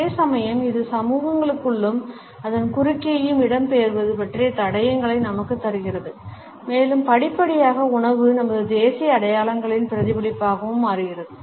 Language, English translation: Tamil, At the same time it gives us clues about the migration within and across societies and gradually we find that food becomes a reflection of our national identities also